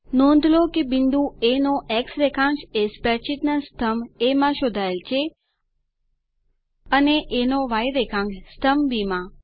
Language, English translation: Gujarati, Notice the X coordinate of point A is traced in column A of the spreadsheet, and the Y coordinate of point A in column B